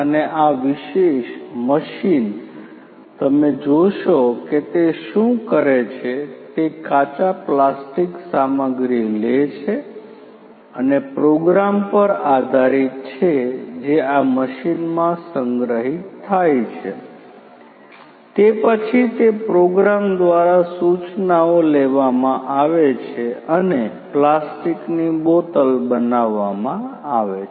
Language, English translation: Gujarati, And this particular machine as you will see what it does is it takes the raw plastic materials and based on the program that is stored in this machine basically then that program the instructions are taken and the, the plastic bottles are made